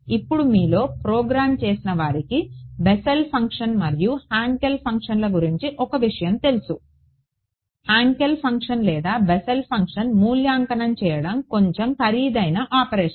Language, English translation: Telugu, Now those of you who have programmed these Bessel functions Hankel Hankel functions will know; that to evaluate Hankel function or a Bessel function is slightly expensive operation